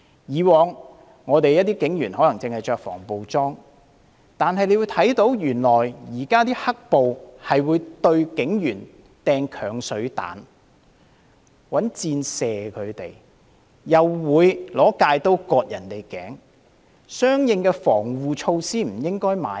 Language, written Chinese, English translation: Cantonese, 以往警員可能只穿着防暴裝備，但現時的"黑暴"原來會向警員投擲鏹水彈，向他們射箭，又會用鎅刀割頸，相應的防護措施是不應該購買的嗎？, In the past police officers might wear anti - riot gears only . But now black - clad rioters would throw acid bombs on them shoot arrows at them and even slit their necks with a cutter . Should relevant protective gears not be purchased?